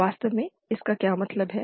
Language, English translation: Hindi, What does that mean actually